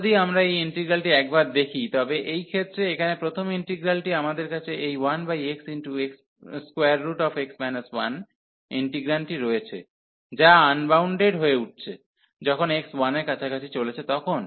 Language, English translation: Bengali, If we take a look at this integral, here the first integral in this case, we have this integrand 1 over x square root x minus 1, which is getting unbounded, when x is approaching to 1